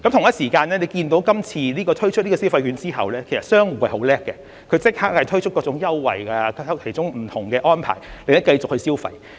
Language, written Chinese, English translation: Cantonese, 同時，大家看到今次推出消費券計劃後，其實商戶是很厲害的，它們也立即推出各種優惠和不同安排，令大家繼續消費。, Meanwhile we can see that after the introduction of the Scheme―merchants are indeed very smart―they have instantly offered various promotion offers and different arrangements to make people keep spending money